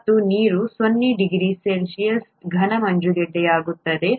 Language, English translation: Kannada, And water becomes a solid ice at 0 degree C